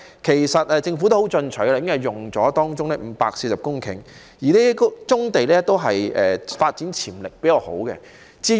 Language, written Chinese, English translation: Cantonese, 其實，政府已經很進取，動用了當中的540公頃，這些都是發展潛力較好的棕地。, In fact the Government has been very aggressive as 540 hectares of brownfield sites with greater development potential have been used